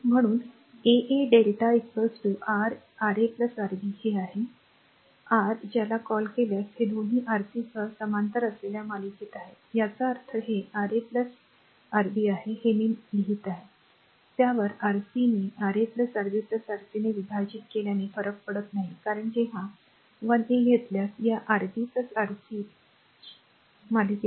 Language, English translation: Marathi, Therefore, R 1 3 delta right is equal to is equal to your Ra plus Rb this is in is your what you call this is are this 2 are in series with that with parallel with Rc; that means, it is Ra plus your Rb right this one into I am writing on it does not matter into Rc divided by Ra plus Rb plus Rc because when you take 1 3; this Rb and Rc Ra there in series right